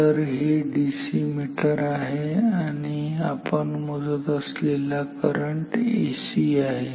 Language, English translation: Marathi, Of course, this is a DC meter and we are measuring a AC current this current is AC